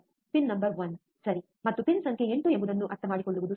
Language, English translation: Kannada, It is easy to understand which is pin number one, alright and which is pin number 8